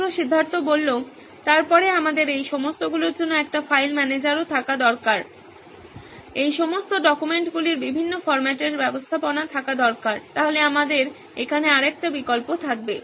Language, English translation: Bengali, Then we also need to have a file manager for all these, management of all this different formats of documents we will have another option here then